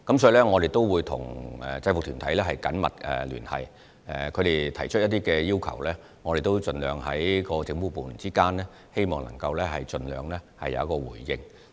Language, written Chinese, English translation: Cantonese, 所以，我們會跟制服團體緊密聯繫，若他們有提出要求，我們各政府部門之間便會盡量作出回應。, Therefore we will maintain close liaison with UGs . On receipt of any requests from UGs government departments will coordinate and issue a response as far as practicable